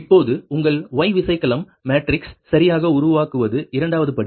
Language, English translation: Tamil, second step is that your formation of your y bus matrix, right